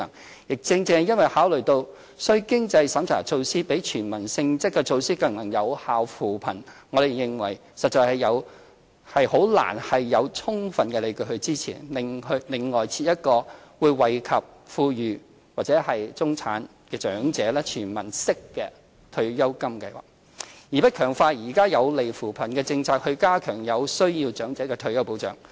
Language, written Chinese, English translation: Cantonese, 此外，正正因為考慮到須經濟審查的措施比"全民"性質的措施更能有效扶貧，我們認為實在難有充分理據支持另行增設一個會惠及富裕或中產長者的"全民式"退休金計劃，而不強化現行有利扶貧的政策，加強對有需要長者的退休保障。, Moreover as means - tested measures can more effectively mitigate poverty than measures which are universal in nature we believe that it is not really justifiable to add another universal pension scheme which may benefit wealthy or middle - class elderly instead of enhancing present policies conducive to poverty alleviation and protection for the needy elderly